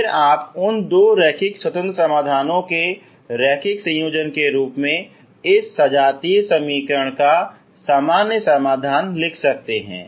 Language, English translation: Hindi, Again you can write the general solution of this homogeneous equation as a linear combination of those two linearly independent solutions ok